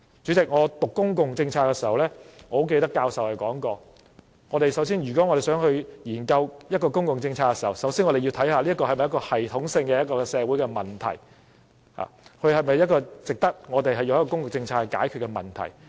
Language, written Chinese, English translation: Cantonese, 主席，我唸公共政策時記得教授說過，如果我們想研究一項公共政策，首先要看看這是否系統性的社會問題，是否值得以公共政策來解決問題。, Chairman I remember when I studied public policies a professor said that if we wish to do research on a public policy we must first assess whether this is a systemic social issue and whether it is worthwhile to use public policy to resolve the issue